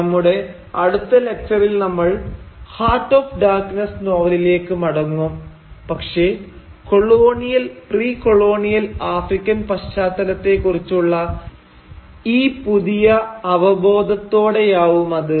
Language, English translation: Malayalam, Now, in our next lecture, we will return to the novel Heart of Darkness but with this new awareness of the colonial and precolonial African context